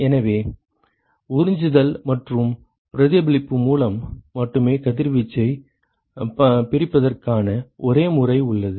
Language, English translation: Tamil, So, the only modes of splitting of the incident irradiation is by absorption and reflection ok